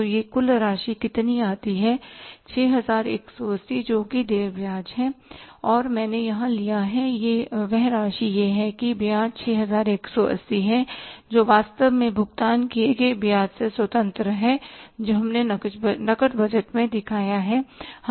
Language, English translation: Hindi, 618 which is the interest due and that I have taken here that is the amount is the interest due is 618 which is independent of the interest actually paid which we have shown in the cash budget